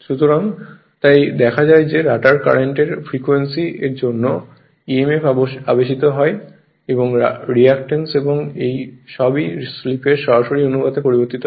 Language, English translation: Bengali, So, therefore, it is it is therefore, seen that that the frequency of rotor current is induced emf and [ ] rea[ctance] and reactance all vary in direct proportion to the slip